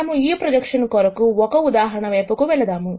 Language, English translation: Telugu, Now, let us move on to doing an example for this projection